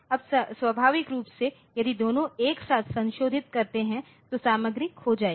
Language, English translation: Hindi, Now, naturally if both of them modify simultaneously then the content will be lost